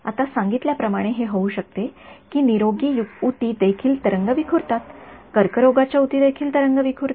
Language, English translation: Marathi, Now as was mentioned it can happen that healthy tissue will also scatter waves cancerous tissue will also scatter waves